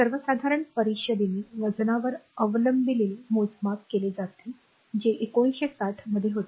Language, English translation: Marathi, So, adopted by the general conference on weights are measured that was in 1960